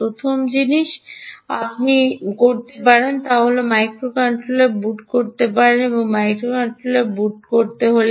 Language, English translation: Bengali, first thing you can do is you can boot the microcontroller